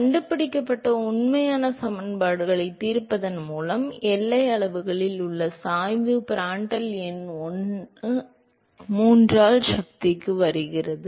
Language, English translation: Tamil, So, by solving the actual equations what has been found, is that the gradient at the boundary scales as Prandtl number to the power of 1 by 3